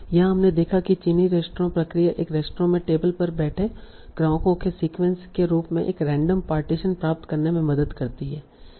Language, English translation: Hindi, So we saw that Chinese restaurant process, it helps in obtaining a random partition as a sequence of customers sitting at tables in a restaurant